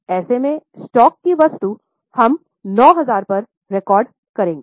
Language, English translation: Hindi, In such scenario, that item of stock we will record at 9,000